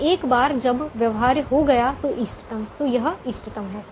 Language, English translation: Hindi, and once the primal became feasible, it is optimum